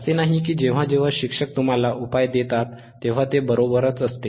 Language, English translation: Marathi, It is not that always whenever a teacher gives you a solution, it may beis correct